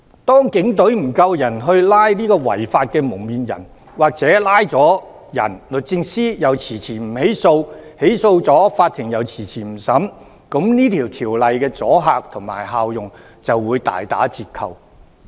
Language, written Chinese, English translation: Cantonese, 當警隊人手不足以拘捕違法的"蒙面人"，或拘捕後律政司遲遲不起訴，起訴後法庭又遲遲不審理，這項條例的阻嚇力及效用就會大打折扣。, When the Police Force does not have adequate manpower to arrest the masked suspects or when the Department of Justice stalls on prosecuting the arrested suspects and the courts delay in handling these cases the deterrence and function of the Regulation will be seriously hampered